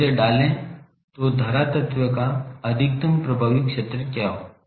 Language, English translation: Hindi, So, put it so what is the maximum effective area of the current element